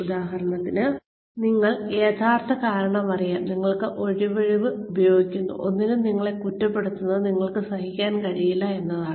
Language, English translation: Malayalam, For example, you know, the real reason, you are using, that excuse is that, you cannot bear to be blamed for anything